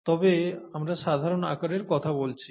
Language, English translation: Bengali, But we’re talking of typical sizes